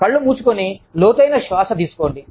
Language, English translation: Telugu, Close your eyes, and take a deep breath